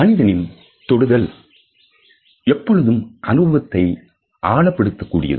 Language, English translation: Tamil, Human touch always intensifies experiences